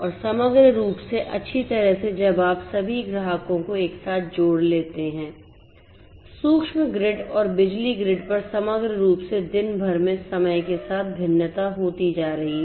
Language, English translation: Hindi, And holistically as well when you take all the customers together the demand on the micro grids and the power grids holistically that is also going to vary over time throughout the day